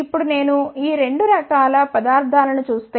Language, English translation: Telugu, Now, if I see these 2 type of materials